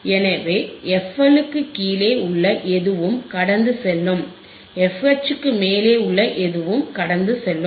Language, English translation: Tamil, So, anything below f L will pass, anything above f H will pass